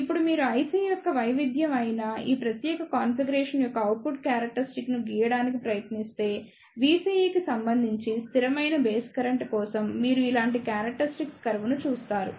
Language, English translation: Telugu, Now if you try to draw the output characteristics of this particular configuration that is the variation of I C with respect to V CE for the constant base current, then you will see the characteristic curves like this